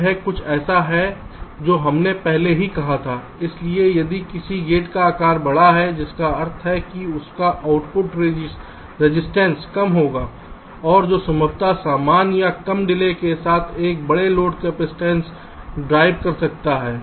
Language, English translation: Hindi, so if a gate has larger size, which means it will have lower output resistance and which can drive a larger load capacitance with possibly the same or less delay